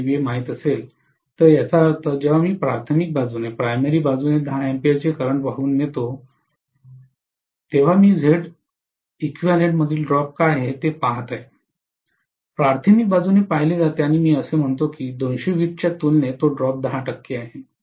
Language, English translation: Marathi, 2 kVA, when it is carrying a current of 10 ampere on the primary side, I am looking at what is the drop in the Z equivalent, visualized from the primary side and I say that that drop as compared to 220 V is 10 percent